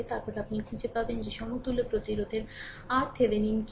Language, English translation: Bengali, Then you find out what is the equivalent resistance R Thevenin